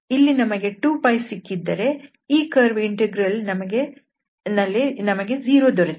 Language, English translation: Kannada, So, here we got this value 2 Pi and for this area integral we got the value 0